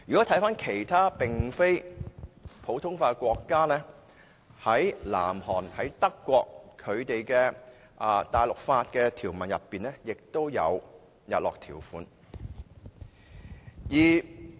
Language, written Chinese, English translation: Cantonese, 至於其他並非實行普通法的國家，例如南韓和德國，在其大陸法的條文內也有日落條款。, Such clauses can also be found in the civil law in other countries not practising common law such as South Korea and Germany